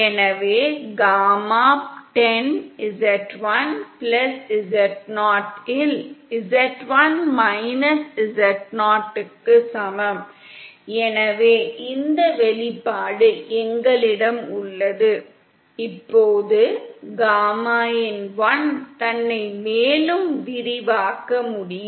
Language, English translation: Tamil, So gamma10 equal to z1 z0 upon z1+z0, so we have this expression, now gamma in1 can itself be further expanded